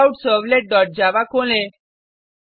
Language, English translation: Hindi, Open CheckoutServlet dot java